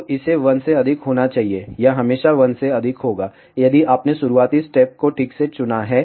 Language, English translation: Hindi, So, it has to be greater than 1, it will always be greater than 1, if you have chosen the initial steps properly